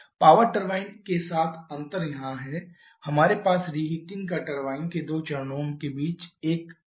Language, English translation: Hindi, The difference with the power turbine is here we have a stage of reheating between the 2 stages of turbine